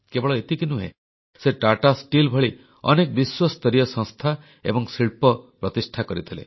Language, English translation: Odia, Not just that, he also established world renowned institutions and industries such as Tata Steel